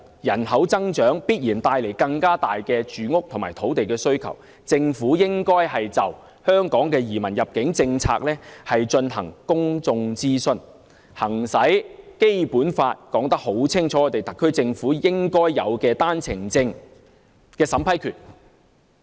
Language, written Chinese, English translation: Cantonese, 人口增長必然會帶來更大的住屋和土地需求，政府應該就香港移民入境政策進行公眾諮詢，行使《基本法》內清楚說明的特區政府應有的單程證審批權。, Population growth will definitely result in a greater demand for housing and land . The Government should conduct public consultation on the immigration policy of Hong Kong and exercise the powers clearly conferred to the SAR Government by the Basic Law to vet and approve One - way Permit applications